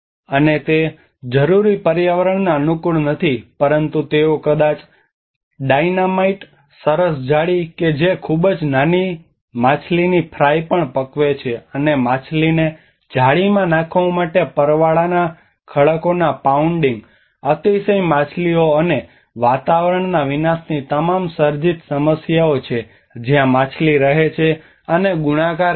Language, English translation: Gujarati, And they are not necessarily environmentally friendly, but they might have used a dynamite, the fine nets that catch even a very small fish fry, and the pounding of the coral reefs to drive fish into the nets, all created problems of overfishing and the destruction of the environment when the fish live where the fish live and multiply